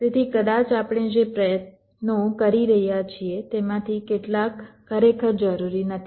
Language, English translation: Gujarati, so maybe some of the efforts that we are putting in are not actually required, right